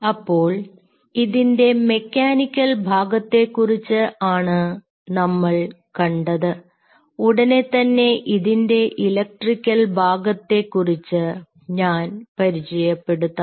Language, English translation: Malayalam, so here you only see the mechanical part of it and i will introduce the electrical part of it soon